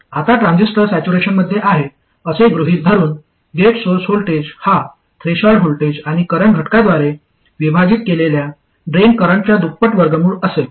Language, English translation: Marathi, Now assuming that the transistor is in saturation, the gate source voltage would be the threshold voltage plus square root of two times the drain current divided by the current factor